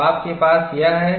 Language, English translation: Hindi, So, what you have here